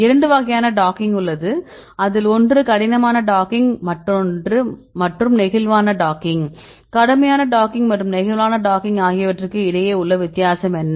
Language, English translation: Tamil, So, you have two types of docking we discussed one is the rigid docking and the flexible docking, what difference between rigid docking and flexible docking